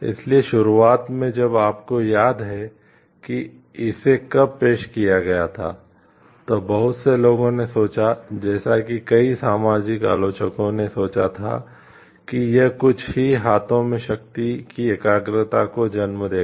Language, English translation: Hindi, So, when initially if you remember like when it was introduced, so many people thought like many social critics thought like it will lead to the concentration of power only in few hands